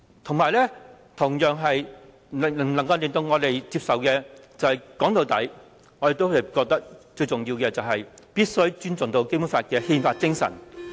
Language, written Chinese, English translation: Cantonese, 說到底，更令我們無法接受的，也是我們認為最重要的，便是必須尊重《基本法》的憲法精神。, Also as we get to the very heart of the matter the most important thing the one thing we find even more unacceptable is actually the blow dealt to the very spirit requiring all of us to respect the constitutional status of the Basic Law